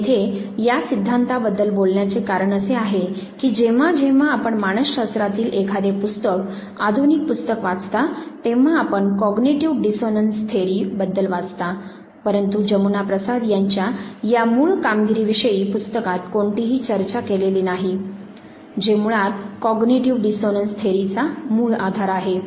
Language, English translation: Marathi, The reason I am talking about this theory here is that whenever you read a book in psychology, the modern text books, you do read cognitive dissonance theory, but none of the book talks about this very seminal work of Jamuna Prasad which basically provided the base line for cognitive dissonance theory